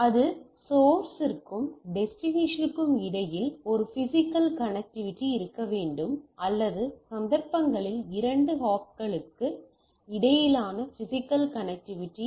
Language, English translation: Tamil, That should be a physical connectivity between the source and the destination or in our cases the physical connectivity between two hops